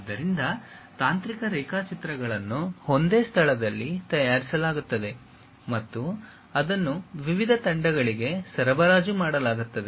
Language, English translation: Kannada, So, technical drawings will be prepared at one place and that will be supplied to different teams